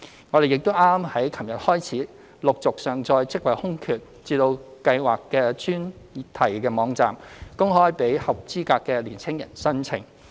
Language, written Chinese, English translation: Cantonese, 我們亦於昨天開始陸續上載職位空缺至計劃的專題網站，公開讓合資格的年輕人申請。, Since yesterday we have been uploading job vacancies onto the dedicated website of the Scheme for open application by eligible young people